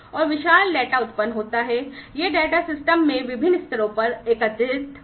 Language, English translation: Hindi, And there is huge, a data that is generated, this data are aggregated at different levels in the system